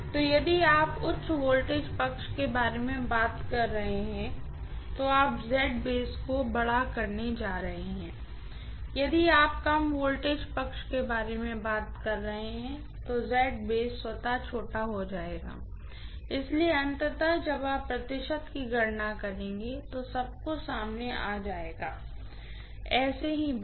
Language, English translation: Hindi, So, if you are talking about high voltage side you are going to have the Z base itself to be larger and if you are talking about the low voltage side the Z base itself will be smaller, so ultimately when you calculate the percentage everything will come out to be the same, no problem